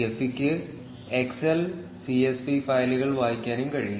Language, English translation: Malayalam, Gephi can also read excel and csv files